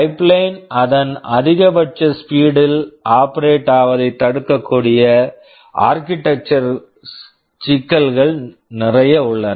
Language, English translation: Tamil, There are a lot of architectural issues that can prevent the pipeline from operating at its maximum speed